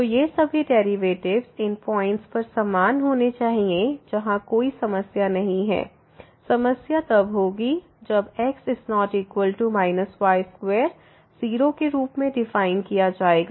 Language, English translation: Hindi, So, all these derivatives, so they must be equal at these points where there is no problem the problem will be when this is defined as 0